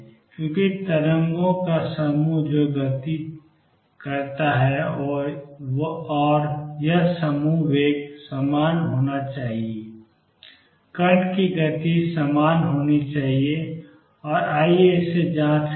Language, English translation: Hindi, Because the group of waves that has moved and this group velocity should be the same should be the same has the speed of particle and let us check that